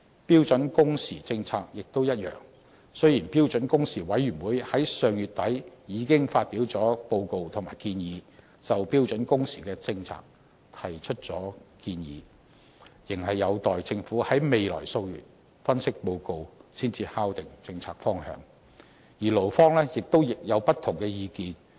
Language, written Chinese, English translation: Cantonese, 標準工時政策亦一樣，雖然標準工時委員會已在上月底發表報告及建議，就標準工時政策提出建議，有關政策方向仍待政府在未來數月發表分析報告才能敲定，而勞方亦有不同意見。, Likewise for the policy on standard working hours though the Standard Working Hours Committee has submitted its report and proposals late last month regarding the policy the relevant policy direction will only be finalized after the Government releases an analytical report in the months to follow . Meanwhile the labour representatives also hold dissenting opinions